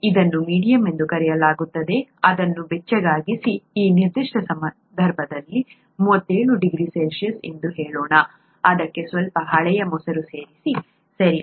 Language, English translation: Kannada, It’s called the medium, warm it up to, let’s say, 37 degree C in this particular case, add some old curd to it, okay